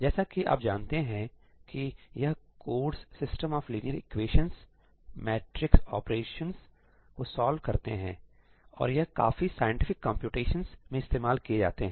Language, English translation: Hindi, So, as you know these codes like, solving a system of linear equations, matrix operations these occur in a lot of scientific computations, right